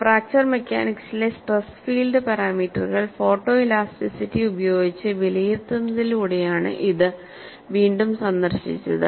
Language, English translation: Malayalam, This is on Evaluation of stress field parameters in fracture mechanics by photoelasticity revisited